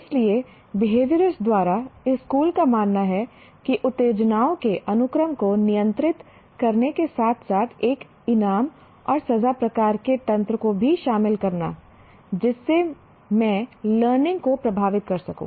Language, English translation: Hindi, So by the behaviorists, this school believes that by controlling the sequence of stimuli and also associating a reward and punishment type of mechanism with that, I can influence the learning